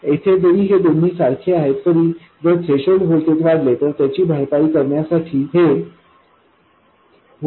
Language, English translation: Marathi, So if the threshold voltage increases, this voltage itself will increase to compensate for that